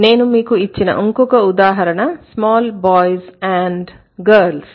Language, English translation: Telugu, The other example I gave you is also small boys and girls